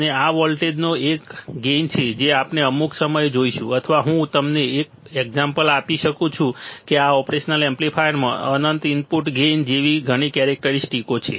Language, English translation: Gujarati, And there is an advantage of this voltage that we will see at some point or I can give you an example that this operation amplifier has a several characteristic like infinite input gain